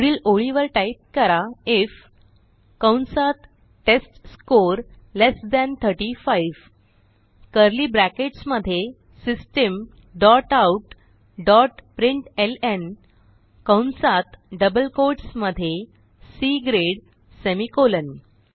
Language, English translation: Marathi, Next line type if within brackets testScore less than 35, within curly brackets System dot out dot println within brackets and double quotes C grade semicolon